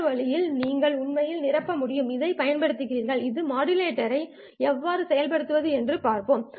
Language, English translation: Tamil, This way you can actually fill up and we will see how to implement a modulator in order to employ this one